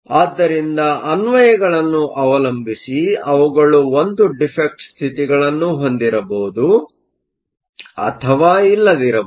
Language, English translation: Kannada, So, depending upon the applications, we may or may not one defect states